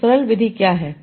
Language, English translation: Hindi, So what is a simple method